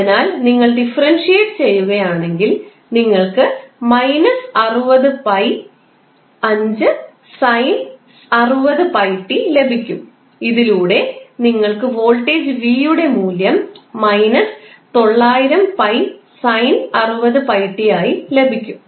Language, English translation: Malayalam, so, if you differentiate you will get minus pi into 5 sin 60 pi t and with this you will get the value of voltage v as minus 900 pi sin 60 pi t